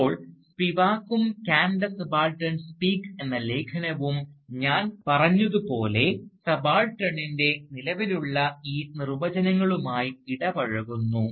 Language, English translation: Malayalam, Now, Spivak and "Can the Subaltern Speak," that essay, as I said, engages with these existing definitions of the subaltern